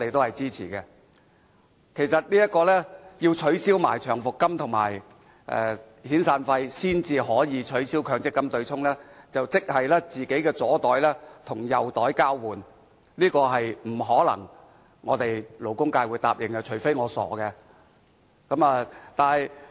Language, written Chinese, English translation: Cantonese, 如果說要一併取消長期服務金和遣散費，才可以取消強積金對沖機制，即是"左袋與右袋交換"，這是我們勞工界不可能答應的，除非我們是傻的。, If the MPF offsetting mechanism can be abolished only in conjunction with the abolition of long service payments and severance payments it is de facto putting the money in the left pocket to the right pocket . We from the labour sector are not that stupid to accept this arrangement